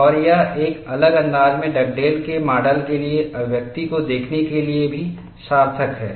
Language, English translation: Hindi, And it is also worthwhile to look at the expression for Dugdale’s model written out in a different fashion